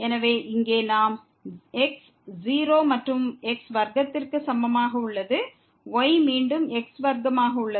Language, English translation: Tamil, So, here we have is equal to 0 and square the is again square